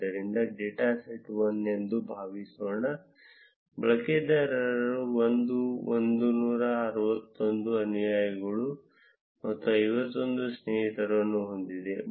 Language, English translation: Kannada, So, data set 1 would be suppose user 1 has 161 followers and 51 friends